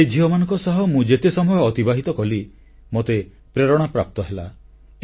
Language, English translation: Odia, Whatever little time I spent with these daughters, I got inspired myself